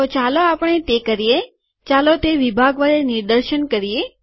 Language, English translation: Gujarati, So let us do that, let us demonstrate this with section